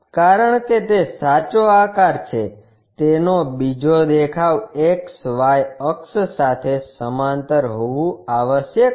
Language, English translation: Gujarati, Because it is a true shape is other view must be parallel to XY axis